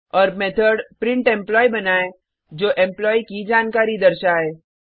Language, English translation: Hindi, And Method printEmployee which displays the Employee information